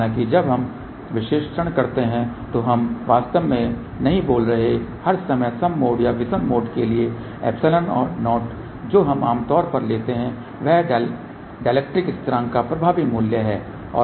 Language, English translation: Hindi, However, when we do the analysis we don't really speaking take all the time even mode or odd mode epsilon 0, what we take generally is effective value of the dielectric constant